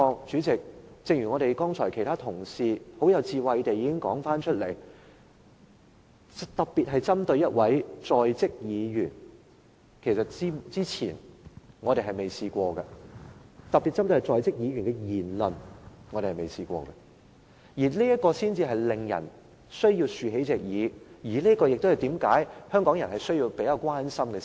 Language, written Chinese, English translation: Cantonese, 主席，正如其他同事剛才已很有智慧地說，今次的情況是特別針對1位在職議員的言論，其實是我們之前從未遇過的，這就是為何人們需要張開耳朵，這就是為何香港人要關心這事。, President as other Members have wisely said we have never encountered a case an incumbent Member is being penalized for his words spoken . That is why we have to open our ears; and that is why Hong Kong people have to show concern about this matter